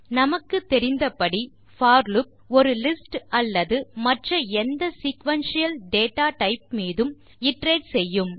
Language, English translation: Tamil, As we know, the for loop iterates over a list or any other sequential data type